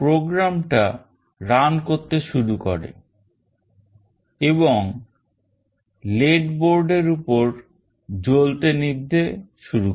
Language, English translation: Bengali, The program starts running and the LED starts blinking on the board